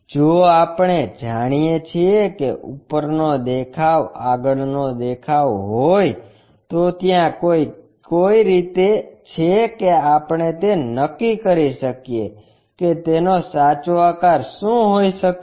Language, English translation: Gujarati, If we know that top view front view and top view, is there a way we can determine what it might be in true shape